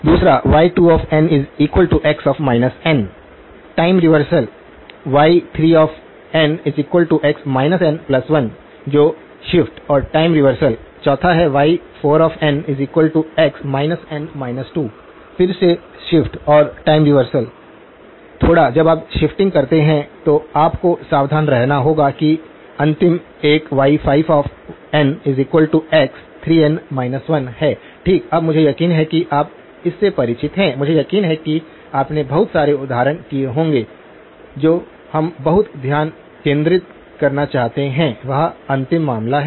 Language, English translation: Hindi, Second; y2 of n is x of minus n, time reversal, y3 of n is x of minus n plus 1 that is shift and time reversal, fourth; y4 of n equals x of minus n minus 2, again shift and a time reversal, a little bit you have to be careful when you do the shifting and the last one is y5 of n, x of 3n minus 1 okay, now I am sure you are familiar with this I am sure you would have done lots of examples what we would very much like to focus on is the last case